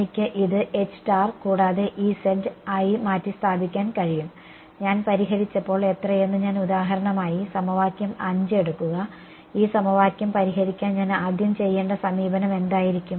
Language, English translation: Malayalam, I can as well replace this as H tan and E z how many when I when I solved the when I for example, take equation 5 what will be the first approach that I will do to solve this equation